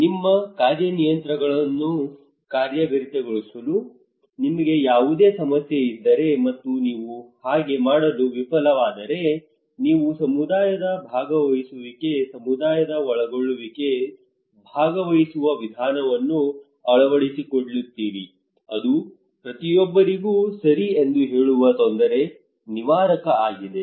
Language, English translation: Kannada, If you have any problem to implement your strategies and plan you fail to do so, you incorporate community participations, involvement of community, participatory approach that is everybody who tell you okay it is a kind of trouble shooter